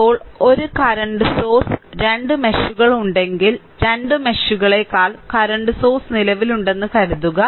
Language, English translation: Malayalam, Now, when a current source exist between 2 meshes, right, suppose a current source exist between the 2 meshes